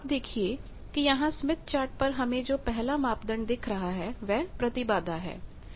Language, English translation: Hindi, You see that the first parameter that is put or displayed in this smith chart is Impedance